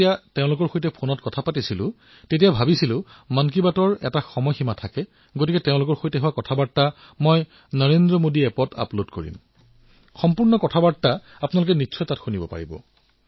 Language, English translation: Assamese, When I was talking to them on the phone, it was such a lengthy conversation and then I felt that there is a time limit for 'Mann Ki Baat', so I've decided to upload all the things that we spoke about on my NarendraModiAppyou can definitely listen the entire stories on the app